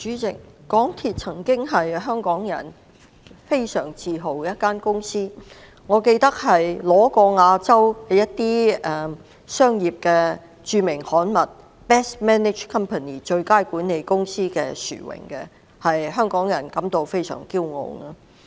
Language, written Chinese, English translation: Cantonese, 主席，香港鐵路有限公司曾經是一間令香港人非常自豪的公司，我記得它曾奪得亞洲著名商業刊物的最佳管理公司的殊榮，令香港人甚感驕傲。, President the MTR Corporation Limited MTRCL was once a company that Hong Kong people were very proud of and as I can recall it was once awarded the title of Best Management Company by a leading business magazine in Asia which was an achievement that Hong Kong people were truly proud of